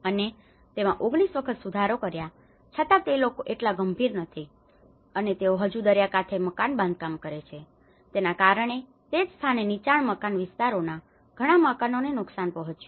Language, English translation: Gujarati, And it has been revised 19 times still there, and even then there is not much serious implication that people started building near the sea shore, and that is where many of the houses have been damaged in the low lying areas